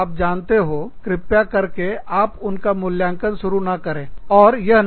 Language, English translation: Hindi, You know, please do not start assessing them, or, do not start judging them, and say, oh